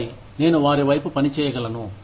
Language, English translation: Telugu, And then, I can work towards them